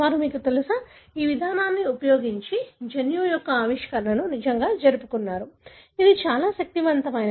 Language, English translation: Telugu, They, you know, really celebrated the discovery of the gene using this approach; it was so powerful